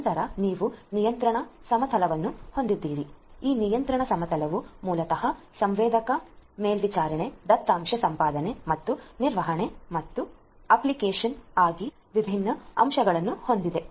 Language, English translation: Kannada, Then you have the control plane, this control plane basically has different components, components for sensor monitoring, data acquisition and management and optimization